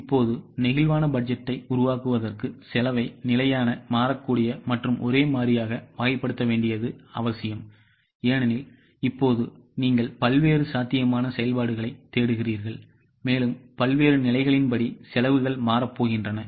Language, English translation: Tamil, Now, for making flexible budget, it is necessary to classify the costs into fixed variable and semi variable because now you are looking for different possible levels of activities and the costs are going to change as per different levels of activities